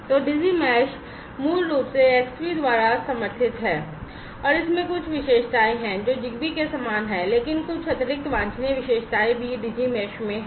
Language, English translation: Hindi, So, Digi mesh is basically supported by Xbee and it has certain features that are similar to ZigBee, but certain additional desirable features are also their Digi mesh